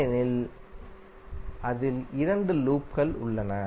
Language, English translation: Tamil, Because it contains 2 loops inside